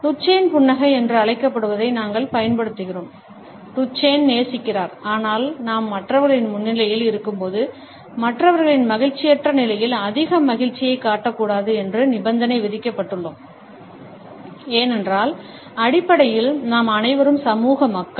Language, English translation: Tamil, We would be using what is known as the Duchenne smile, the Duchenne loves, but when we are in the presence of others then we have been conditioned, not to show too much of happiness in the unhappiness of other people, because basically we are all social people